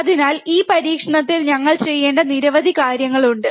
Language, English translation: Malayalam, So, there are several things that we have to do in this experiment